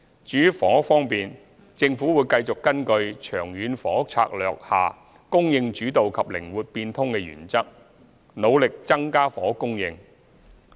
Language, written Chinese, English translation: Cantonese, 至於房屋方面，政府會繼續根據《長遠房屋策略》下"供應主導"及"靈活變通"的原則，努力增加房屋供應。, In regard to housing the Government will continue to increase housing supply based on the supply - led and flexible principles under the Long Term Housing Strategy